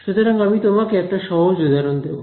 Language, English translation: Bengali, So I will give you a simple example